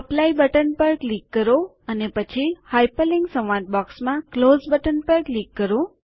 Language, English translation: Gujarati, Click on the Apply button and then click on the Close button in the Hyperlink dialog box